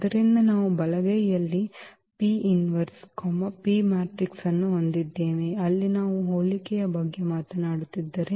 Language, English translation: Kannada, So, the right hand side we have P inverse, P is that matrix which we are talking about the similarity there